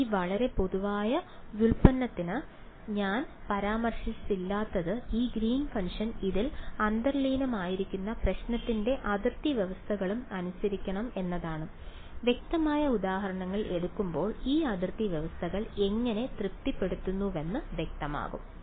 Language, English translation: Malayalam, What I have not mentioned in this very general derivation is that this Greens function should also obey the boundary conditions of the problem that is implicit in this; when we take the explicit examples it will become clear, how these boundary conditions are being satisfied